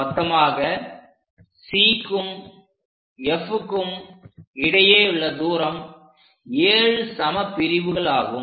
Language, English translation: Tamil, So, total distance C to F will be 7 part